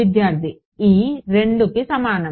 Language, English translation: Telugu, e equal to 2